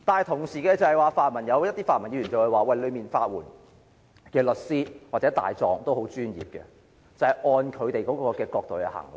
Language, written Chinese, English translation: Cantonese, 同時，有些泛民議員會說法援署的律師或大狀相當專業，是會按照他們的角度衡量。, At the same time some pro - democratic Members say that the solicitors or barristers of LAD are rather professional and they would evaluate the cases according to their perspective